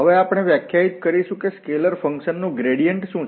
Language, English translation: Gujarati, Now we will define that what is a gradient of a scalar function